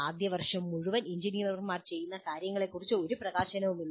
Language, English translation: Malayalam, In the entire first year, there is no exposure to what actually engineers do